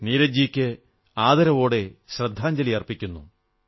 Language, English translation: Malayalam, My heartfelt respectful tributes to Neeraj ji